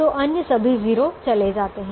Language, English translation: Hindi, now this two, one zero will remain